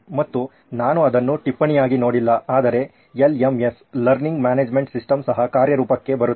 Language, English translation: Kannada, And I did not see that as a note but the LMS, Learning Management System also coming into play